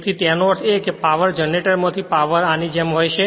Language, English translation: Gujarati, So; that means, your power generator the power will flow like this